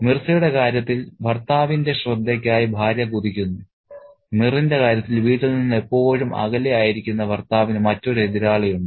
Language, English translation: Malayalam, In the case of Mirza, the wife longs for the husband's attention, and in the case of Mir's home, there is another rival for the husband who is always away from the home